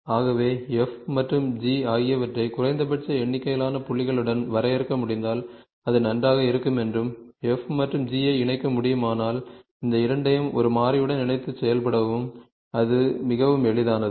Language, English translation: Tamil, So, we felt that, if we can define if we can define f and g with minimum number of points, it will be good and if I can also connect f and g through one more, connect these two, inter connect with a variable, then that is much more easier for me to operate